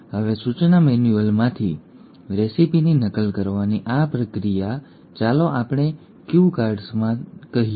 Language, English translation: Gujarati, Now this process of copying the recipe from the instruction manual, let us say into cue cards